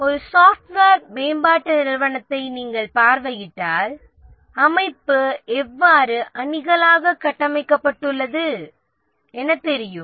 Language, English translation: Tamil, In a software development organization, if you visit an organization, how is the organization structured into teams